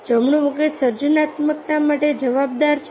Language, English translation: Gujarati, the right brain is accountable for creativity